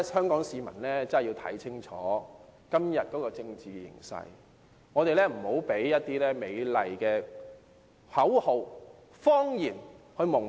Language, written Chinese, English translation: Cantonese, 香港市民真的要看清楚今天的政治形勢，不要被一些美麗的口號、謊言蒙騙。, It is necessary for Hong Kong people to take a careful look at the current political situation in order not to be deceived by some beautiful slogans and lies